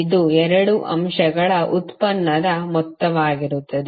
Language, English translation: Kannada, This would be the the sum of the product of 2 elements